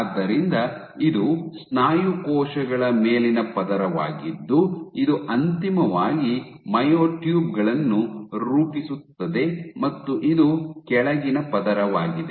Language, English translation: Kannada, And so, this is a top layer of muscle cells which finally fuse to form myotubes, and this is the bottom layer ok